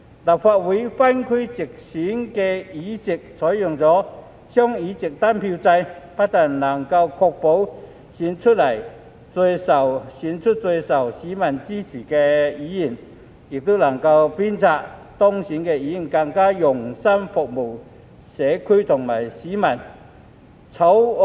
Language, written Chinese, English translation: Cantonese, 立法會分區直選的議席採用"雙議席單票制"，不但能夠確保選出最受市民支持的議員，亦能鞭策當選的議員更用心服務社區和市民。, The double - seat single - vote system will be adopted for seats returned by geographical constituencies through direct elections in the Legislative Council . It will not only ensure that the most popularly supported Members are elected but also encourage elected Members to serve the community and the public with greater dedication